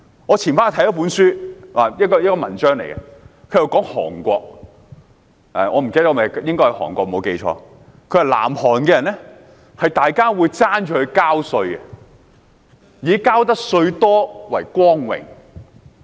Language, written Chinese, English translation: Cantonese, 我早前看了一篇文章，談論韓國——如果我沒有記錯，應該是韓國——文章寫到南韓人會爭相繳稅，以多繳稅為榮。, Earlier on I read an article about South Korea―if my memory is correct it should be South Korea . The article wrote that South Koreans would scramble to pay tax and take pride in contributing a hefty sum of it